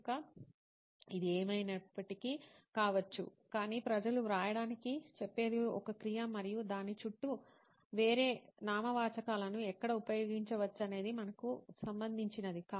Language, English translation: Telugu, So it could be anyway but still what people say to write is a verb and where what else nouns can be used around it is what we are concerned